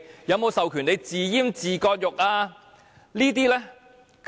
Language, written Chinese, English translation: Cantonese, 有否授權政府自閹自割？, Does it empower the Government to castrate its own functions?